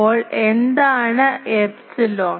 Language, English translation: Malayalam, So, what is this epsilon